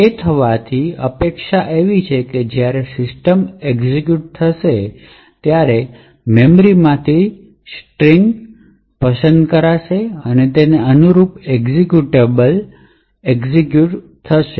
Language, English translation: Gujarati, So, what is expected to happen is that when system executes, it would pick the string from the memory and execute that corresponding executable